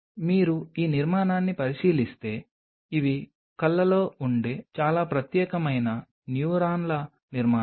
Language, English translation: Telugu, If you look at this structure these are very specialized neuronal structures present in the eyes